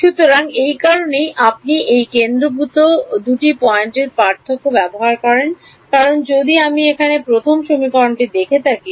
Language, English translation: Bengali, So, that is in that is the reason why you use this centered two point difference because if I just look at the first equation over here